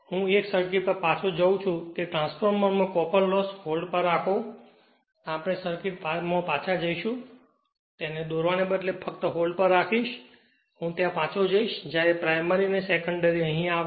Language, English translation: Gujarati, I am going back to 1 circuit that your copper loss in the transformer just hold right just hold on, we will go back to the circuit just hold on instead of drawing it, I will go back to that